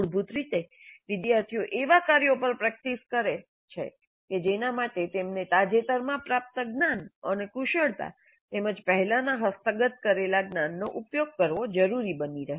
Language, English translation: Gujarati, So basically students practice on tasks that require them to use recently acquired knowledge and skills as well as those acquired earlier